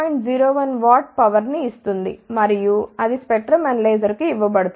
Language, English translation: Telugu, 01 watt power and that can be given to the spectrum analyzer